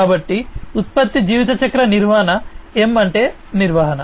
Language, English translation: Telugu, So, product lifecycle management, M stands for management